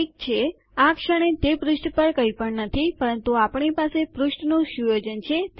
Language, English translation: Gujarati, Okay, theres nothing in the page at the moment but weve got our page set up